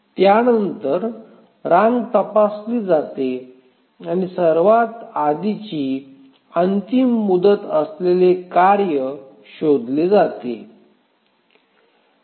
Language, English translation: Marathi, So, you need to traverse the queue and find out which is the task having the earliest deadline